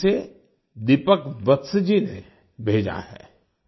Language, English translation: Hindi, It has been sent by Deepak Vats ji